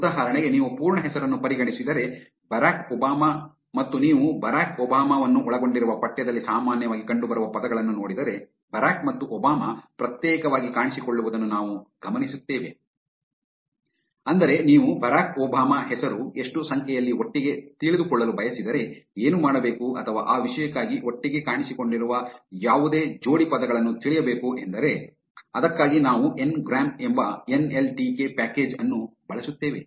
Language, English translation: Kannada, If you consider a full name for example, Barack Obama and you look at the most commonly appearing words in text which contains Barack Obama, we will notice that Barack and Obama will appear separately, but what if you want to know the number of times Barack Obama appeared together or for that matter, any pair of words that have appeared together